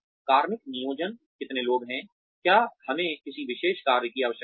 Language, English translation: Hindi, Personnel planning, how many people, do we need for a particular task